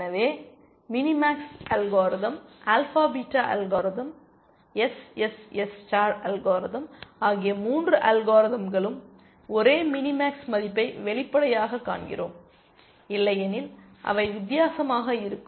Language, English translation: Tamil, So, all the three algorithms mini max algorithm, alpha beta algorithm, SSS star algorithm, we find the same mini max value obviously, otherwise they would be different